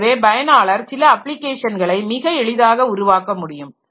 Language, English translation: Tamil, So, user can very easily develop some application